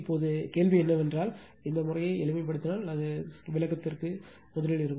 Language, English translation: Tamil, Now, question is that just if, you reduce the this thing it will be first for your explanation